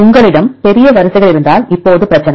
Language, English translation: Tamil, Now the problem is if you have the large sequences